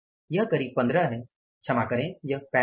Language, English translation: Hindi, This is going to be something like 1 5, sorry 3 5